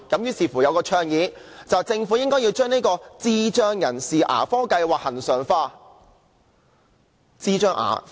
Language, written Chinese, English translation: Cantonese, 於是有人倡議，政府應把智障人士的牙科計劃恆常化。, Some people then suggest that the Government should normalize the dental care service for intellectually disabled